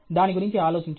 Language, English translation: Telugu, Think about it okay